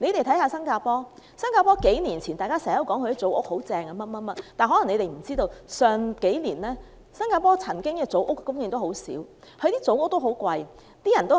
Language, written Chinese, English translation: Cantonese, 以新加坡為例，數年前大家經常說新加坡的組屋政策很好，但大家有所不知，近數年新加坡的組屋供應量十分少且價錢昂貴。, Take Singapore as an example . Everyone admired the Housing Development Board HDB flat policy in Singapore a few years back . What we do not know is that the supply of HDB flats is scarce and the price is high in recent years